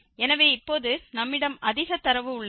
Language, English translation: Tamil, So, now we have more data